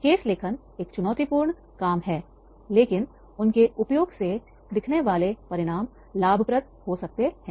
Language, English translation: Hindi, Writing cases is a challenging task but the learning outcomes that stem from them their use can be rewarding